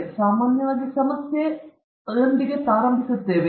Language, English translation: Kannada, We begin with a problem or an issue, normally